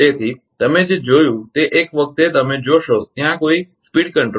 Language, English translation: Gujarati, So, what you have seen once one you see there is no no speed control right